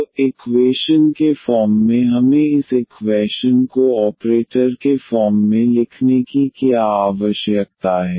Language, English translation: Hindi, So, what as a first step we need to write down this equation in the operator form